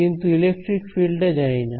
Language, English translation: Bengali, But this one the electric field I do not know